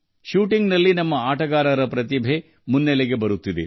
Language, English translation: Kannada, In shooting, the talent of our players is coming to the fore